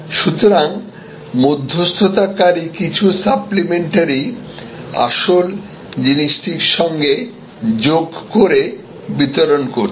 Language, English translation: Bengali, So, the intermediary added some supplementary to the core and delivered